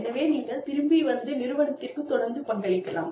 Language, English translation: Tamil, So, you can come back, and keep contributing to the organization